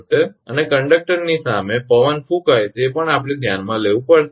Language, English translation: Gujarati, And wind blowing against conductor this also we have to consider